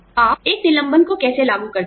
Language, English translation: Hindi, How do you implement a layoff